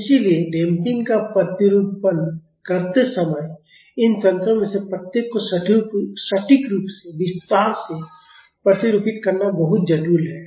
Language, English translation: Hindi, So, while modeling damping it is very complex to model each of these mechanisms exactly in detail